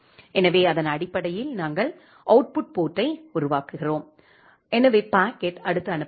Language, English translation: Tamil, So, based on that we are generating the output port; so, where the packet will be forwarded next